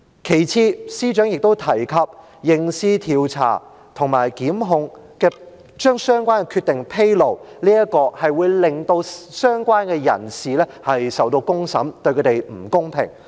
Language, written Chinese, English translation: Cantonese, 其次，司長亦都提及，刑事調查及檢控，將相關的決定披露，這樣會令相關人士受到公審，對他們不公平。, Moreover the Secretary has mentioned that disclosure of the decisions related to criminal investigations and prosecutions would unfairly put the persons concerned on trial by public opinion